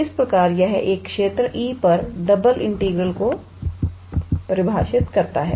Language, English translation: Hindi, So, this is the way we define the double integral on a region E